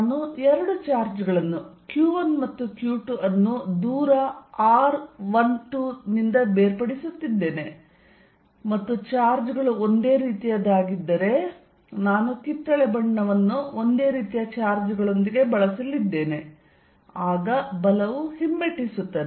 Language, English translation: Kannada, I am drawing two charges q 1 and q 2 separated by a distance r 1 2 and if the charges are the same, so it is for same I am going to use the color orange with the charges of the same, then the force is repulsive